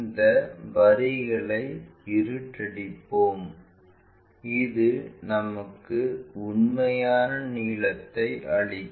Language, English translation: Tamil, Let us darken these lines assuming this might be giving us true length